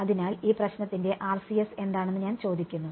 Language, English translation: Malayalam, So, this is I am asking what is RCS of this problem